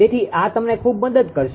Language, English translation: Gujarati, So, this will help you a lot right